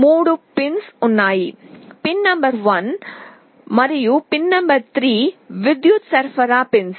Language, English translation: Telugu, There are 3 pins; pin number 1 and pin number 3 are the power supply pins